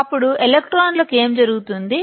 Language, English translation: Telugu, Then, what will happen to the electrons